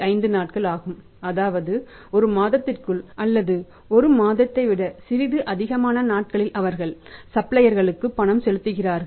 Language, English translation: Tamil, 5 days normally within a month almost little more than a month time they are making the payment to their suppliers